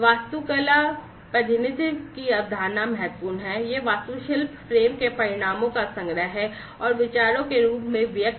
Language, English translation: Hindi, The concept of architectural representation is important; it is the collection of outcomes of architectural frame and are expressed as views